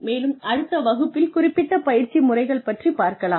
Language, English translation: Tamil, And, we will get into the, actual specific training methods, in the next class